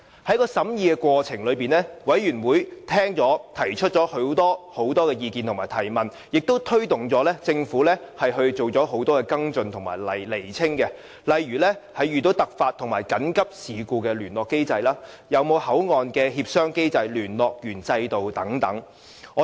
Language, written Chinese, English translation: Cantonese, 在審議《條例草案》的過程中，委員聽取及提出很多意見和問題，亦推動政府進行很多跟進及釐清的工作，例如在遇上突發和緊急事故時的聯絡機制，會否有口岸協商機制和聯絡員制度等。, During the scrutiny of the Bill members of the Bills Committee have taken on board many views and raised many questions . They also urged the Government to take follow - up actions and make clarifications such as the communication mechanism in case of emergencies and whether a consultation mechanism and liaison system will be set up at the Mainland Port Area and so on